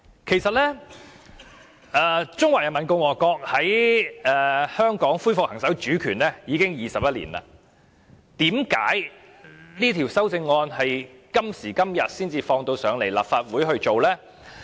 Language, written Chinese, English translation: Cantonese, 其實，中華人民共和國在香港恢復行使主權已經21年，為何這項《條例草案》到今時今日才提交立法會處理？, In fact it has been 21 years since the Peoples Republic of China resumed sovereignty over Hong Kong; why is the Bill introduced to the Legislative Council only now?